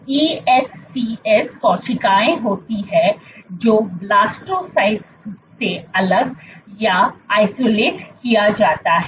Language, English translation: Hindi, ESCs are cells which are isolated from the Blastocysts